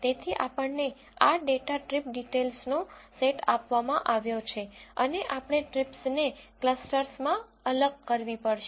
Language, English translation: Gujarati, So, we have been given this data set of trip details and we have to segregate these trips into clusters